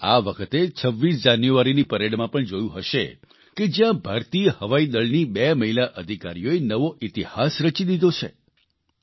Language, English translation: Gujarati, You must have also observed this time in the 26th January parade, where two women officers of the Indian Air Force created new history